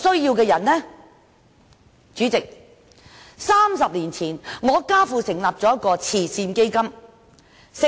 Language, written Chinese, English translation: Cantonese, 主席，我家父在30年前成立了一個慈善基金。, President my father established a charity fund 30 years ago